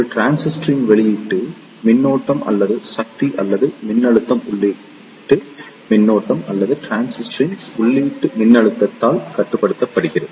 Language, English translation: Tamil, The output current or power or voltage of a transistor is controlled by either the input current or the input voltage of the transistor